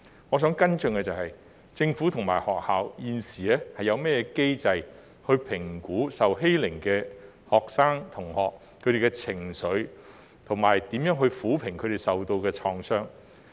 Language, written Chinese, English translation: Cantonese, 我想跟進的是，政府和學校現時有甚麼機制評估受欺凌的學生的情緒，以及如何撫平他們受到的創傷。, I would like to follow up on the mechanisms currently put in place by the Government and schools in assessing the emotional state of students who have been bullied and how to heal their wounds